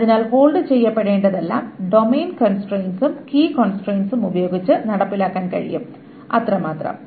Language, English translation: Malayalam, So everything that should hold can be enforced by simply the domain constraints and the key constraints